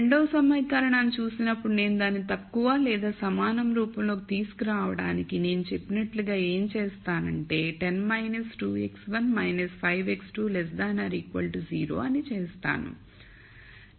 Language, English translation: Telugu, So, this is already in the less than equal to form, when I look at the second equation, I want to make it into a less than equal to form then what I do is I said 10 minus 2 x 1 minus 5 x 2 is less than equal to 0